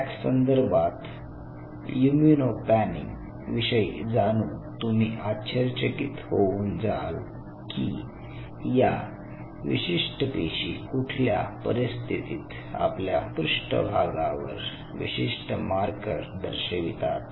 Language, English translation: Marathi, As a matter of FACS you will be surprised to know regarding this immuno panning if you really know at what point of time these specific cells express unique markers on their surface